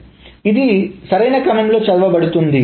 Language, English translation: Telugu, So it is read in the correct order, the forward order